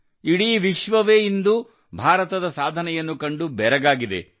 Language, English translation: Kannada, The whole world, today, is surprised to see the achievements of India